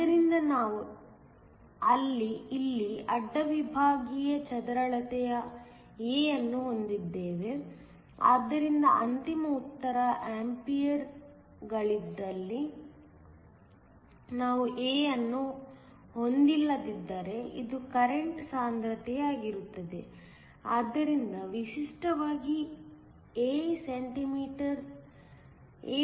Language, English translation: Kannada, So, we have the cross sectional area A here, so that the final answer is in amperes; if we did not have A, this will be a current density; so typically A cm 2 or A m 2